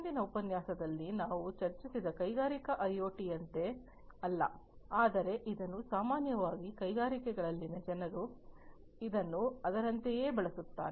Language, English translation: Kannada, And it is not exactly like the industrial IoT that we discussed in the previous lecture, but is often commonly used interchangeably by people in the industries